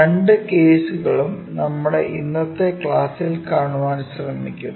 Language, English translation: Malayalam, Both the cases we will try to look at that in our today's class